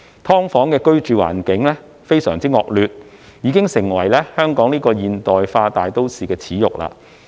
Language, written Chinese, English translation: Cantonese, "劏房"的居住環境非常惡劣，已經成為香港這個現代化大都市的耻辱。, The living conditions of SDUs are so deplorable that they have become a disgrace to this modern metropolis of Hong Kong